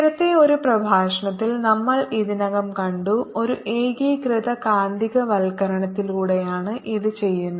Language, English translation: Malayalam, we have already seen in one of the lectures earlier that this is done by a uniform magnetization